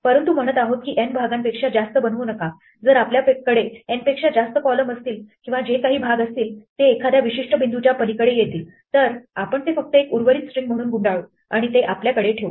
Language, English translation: Marathi, But we are saying do not make more than n chunks, if we have more than n columns or whatever chunks which come like this beyond a certain point we will just lump it as one remaining string and keep it with us